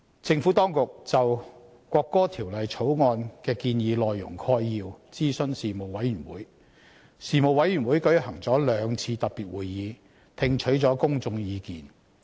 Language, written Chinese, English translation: Cantonese, 政府當局就《國歌條例草案》的建議內容概要諮詢事務委員會，事務委員會舉行了兩次特別會議，聽取公眾意見。, The Panel was consulted on an outline of the proposed content of the National Anthem Bill the Bill . It held two special meetings to receive public views on the subject